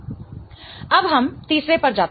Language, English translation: Hindi, Okay, now let us go to the third one